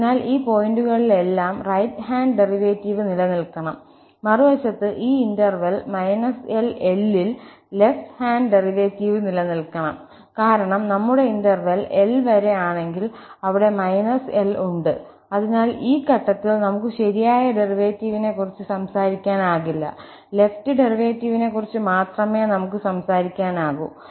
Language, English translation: Malayalam, So, at all these points, the right hand derivative should exists and on the other hand, in this interval minus L open to the close L, the left hand derivative should exists because, if our interval is upto L and here, we have minus L, so at this point, we cannot talk about the right derivative, we can only talk about the left derivative